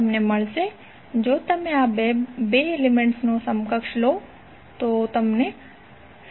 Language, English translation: Gujarati, You will get, simply if you take the equivalent of these 2 elements, you will get 7